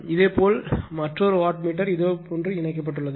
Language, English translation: Tamil, Similarly another wattmeter is carried your what you call , connected like this right